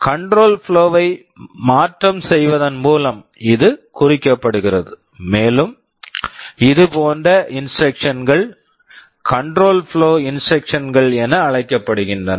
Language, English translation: Tamil, This is what is meant by change of control flow, and such instructions are termed as control flow instructions